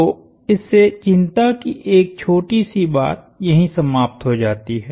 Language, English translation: Hindi, So, that eliminates one little thing to worry about